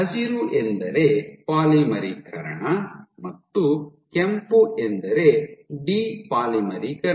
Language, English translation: Kannada, So, green is polymerization and red is depolymerization